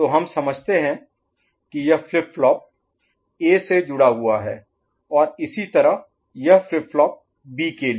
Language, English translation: Hindi, So that we understand that this is associated with flip flop A and similarly for flip flop B